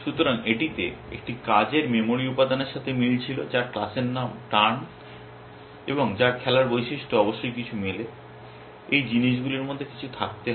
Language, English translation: Bengali, So, it was match a working memory element whose class name is turn and whose to play attribute must match something, there must be something in the these thing